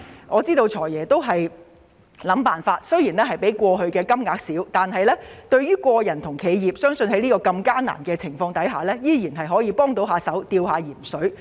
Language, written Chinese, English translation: Cantonese, 我知道"財爺"已經想盡辦法，支援金額雖較過去為少，但在如此艱難的情況下，相信依然有助個人和企業"吊鹽水"。, I understand that FS has tried every way to help and even though the amount of relief is less than before it should still be able to help individuals and enterprises survive in peril